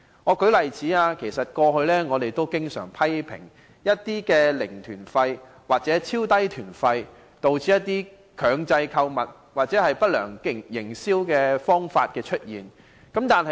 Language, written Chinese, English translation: Cantonese, 我們過去經常批評，零團費或超低團費導致強制購物或不良營銷手法。, In the past we always criticized against zero or ultra - low fare tours for they lead to coerced shopping and other sales malpractices